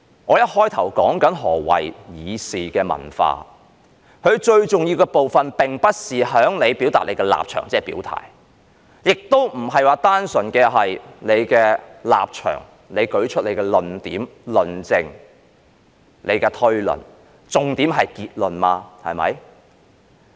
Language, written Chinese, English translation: Cantonese, 我一開始說何謂議事的文化，最重要的部分並不是在於表達立場，亦不單純是你個人的立場；你舉出你的論點、論證、推論，但重點是結論，對嗎？, In my opening remarks I mentioned about the meaning of deliberative culture and the most important part is not about expressing the stance or purely the expression of your personal stance . You present your arguments substantiation and inferences but the crux is the conclusion right?